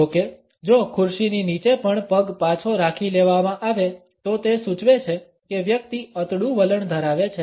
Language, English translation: Gujarati, However, if the feet are also withdrawn under the chair; it suggest that the person has a withdrawn attitude